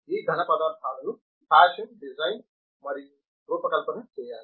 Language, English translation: Telugu, These solids have to be fashioned, designed and fabricated